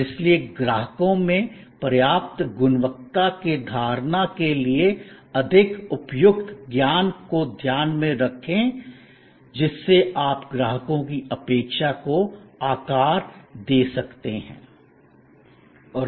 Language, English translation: Hindi, And therefore for adequate quality perception in customers mind the more appropriate knowledge you share the better you shape customer expectation